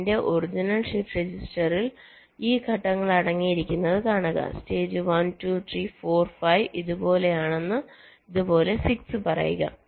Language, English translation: Malayalam, see: my original shift register consisted of this: stages, say stage one, two, three, four, five, like this, six